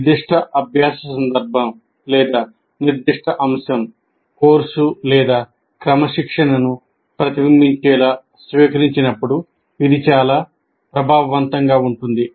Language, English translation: Telugu, It is most effective when it is adapted to reflect the specific learning context or specific topic course or discipline